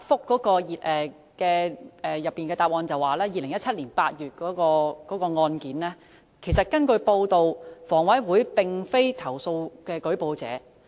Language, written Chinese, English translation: Cantonese, 局長在主體答覆提及2017年8月的案件，但根據報道，房委會並非舉報者。, The Secretary mentioned the case of August 2017 in his main reply but it is reported that HA did not make the report